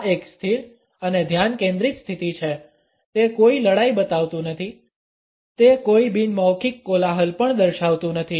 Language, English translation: Gujarati, This is a stable and focus position it does not show any belligerence it also does not showcase any nonverbal noise